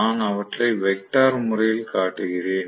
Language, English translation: Tamil, I am showing them a vectorially